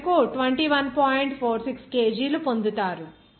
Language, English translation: Telugu, 46 kg per second